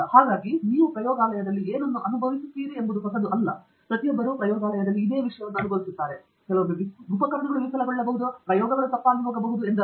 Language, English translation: Kannada, So what you experience in the lab is not new, everybody experiences similar stuff in the lab; I mean equipment fail, experiments go wrong and so on